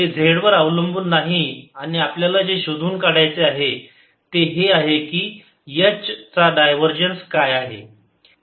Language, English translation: Marathi, there is no z dependence and what we want to find is what is divergence of h